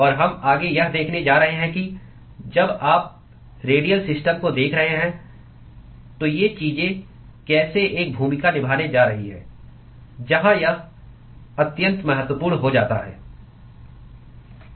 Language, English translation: Hindi, And we are going to next see how these things are going to play a role when you are looking at radial systems where this becomes extremely important